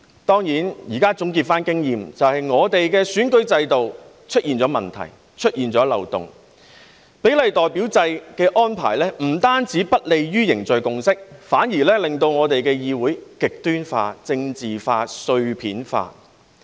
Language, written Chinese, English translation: Cantonese, 當然，現在總結經驗，便是香港的選舉制度出現了問題和漏洞，比例代表制的安排不單不利於凝聚共識，反而令我們的議會極端化、政治化、碎片化。, Certainly the present conclusion from experience is that there are problems and loopholes in the electoral system of Hong Kong . The arrangement of proportional representation is not only unfavourable to forging consensus but has also polarized politicized and fragmented our legislature